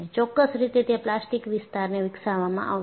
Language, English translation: Gujarati, So, definitely there will be a plastic zone developed